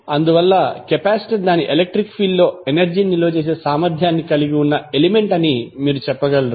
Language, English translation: Telugu, So that is why you can say that capacitor is element capacitance having the capacity to store the energy in its electric field